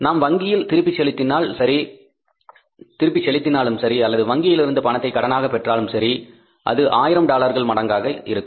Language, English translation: Tamil, Whether we return back to the bank or we borrow from the bank that has to be in the multiple of $1,000